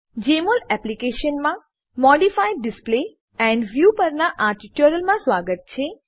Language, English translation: Gujarati, Welcome to this tutorial on Modify Display and View in Jmol Application